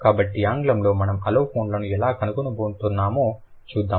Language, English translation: Telugu, So, why we are going to call it allophones